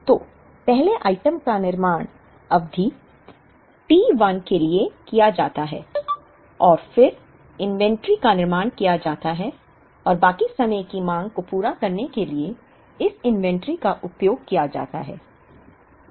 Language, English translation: Hindi, So, the first item is produced for a period say t 1 and then inventory is built up and this inventory is used to meet the demand for the rest of the period